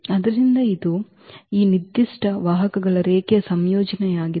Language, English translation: Kannada, So, that is a linear combination of these given vectors